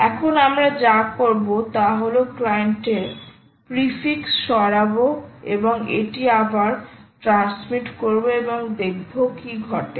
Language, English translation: Bengali, now what we will do is remove the ah client prefix and transmit it again and see what happens